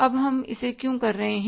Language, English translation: Hindi, Now why we are doing it